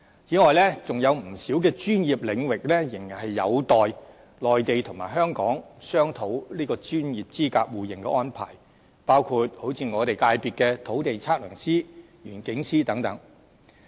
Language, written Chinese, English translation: Cantonese, 此外，仍有不少專業領域仍然有待內地和香港商討專業資格互認的安排，包括我界別的土地測量師、園境師等。, Besides not a few professions are still waiting for discussions between the Mainland and Hong Kong on the arrangements for mutual recognition of qualifications including land surveyors and landscape architects from my constituency